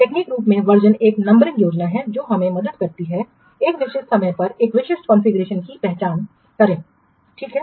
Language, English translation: Hindi, So, more technically, versioning is a numbering scheme that help us identify a specific configuration at a certain point of time